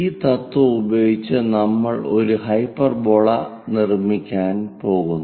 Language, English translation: Malayalam, Using this principle, we are going to construct a hyperbola